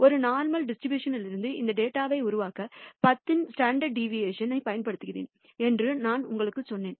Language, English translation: Tamil, As I told you that I had used a standard deviation of 10 to generate this data from a normal distribution